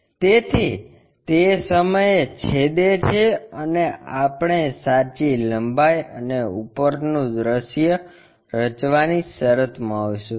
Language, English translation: Gujarati, So, that is going to intersect at that point and we will be in a position to construct true length and the top view